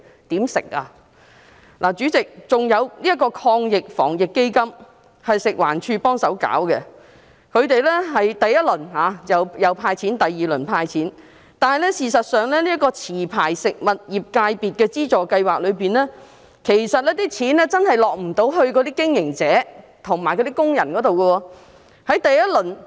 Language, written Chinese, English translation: Cantonese, 此外，主席，這個防疫抗疫基金由食環署協助推行，第一輪和第二輪基金均有"派錢"，但事實上，在持牌食物業界別資助計劃下，那些款項真的未能落在經營者和工人手上。, Moreover Chairman the Anti - epidemic Fund is implemented with the assistance of FEHD . Both the first and second rounds of the Fund have handed out cash but actually under the Food Licence Holders Subsidy Scheme the money cannot really reach the hands of the operators and workers